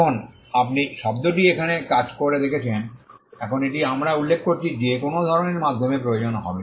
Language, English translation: Bengali, Now you saw the word works here now this is what we had mentioned would require some kind of a medium